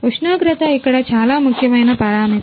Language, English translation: Telugu, The temperature is a very important parameter here